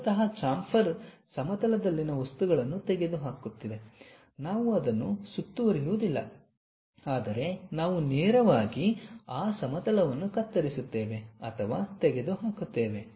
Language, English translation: Kannada, Chamfer is basically removing material on a plane, we do not round it off, but we straight away chop or remove that material like a plane, a cut